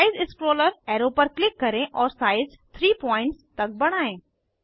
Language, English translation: Hindi, Click on Size scroller arrow and increase the size to 3.0 pts